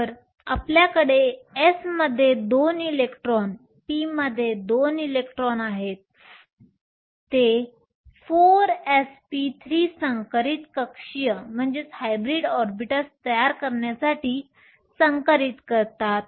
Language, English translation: Marathi, So, you have two electrons in the s, two electrons in the p, they hybridize to form 4 s p 3 hybrid orbitals